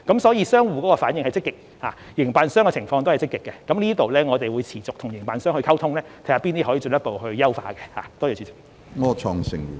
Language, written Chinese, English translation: Cantonese, 所以，商戶的反應是積極的，營辦商的情況亦積極，在這方面，我們會持續與營辦商溝通，看看哪些方面可以進一步優化。, For that reason the responses of merchants as well as four SVF operators are very positive . In this regard we will maintain the communication with SVF operators and see what areas can be further improved